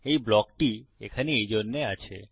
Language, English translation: Bengali, Thats what the block is there for